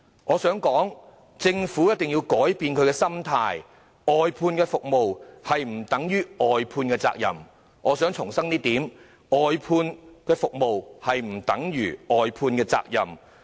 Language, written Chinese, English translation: Cantonese, 我想指出，政府必須改變心態，外判服務不等於外判責任；我想重申，外判服務不等於外判責任。, I would like to point out that the Government must change its mindset . Outsourcing the services does not mean outsourcing the responsibility . I repeat outsourcing the services does not mean outsourcing the responsibility